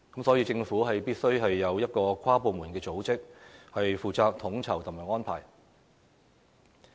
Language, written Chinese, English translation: Cantonese, 所以，政府必須有一個跨部門組織，負責統籌及安排。, For this reason the Government must establish an inter - departmental body for coordination and making arrangements